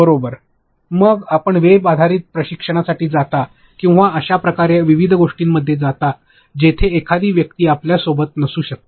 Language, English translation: Marathi, Then you go for web based training or you go into different things where a person cannot be there with you